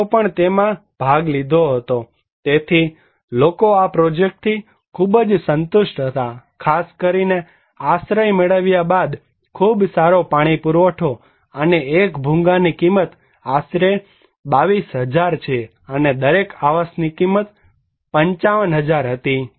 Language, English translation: Gujarati, Women also participated so, people who were very satisfied with these projects, particularly with shelter, very good water supply, and the cost of the one Bhungas is around 22,000 and each cost of the each dwelling unit was 55,000